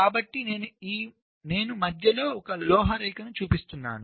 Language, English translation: Telugu, so here i am showing a metal line in between